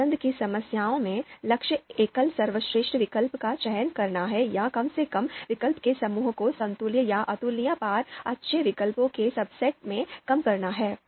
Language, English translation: Hindi, So in choice problems, goal is to select the single best alternative or at least reduce the group of alternatives to a subset of equivalent or incomparable good alternatives